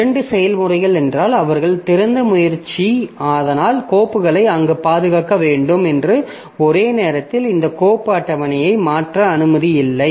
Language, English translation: Tamil, So, if two processes they are trying to open files, so they should not be allowed simultaneously to modify this file table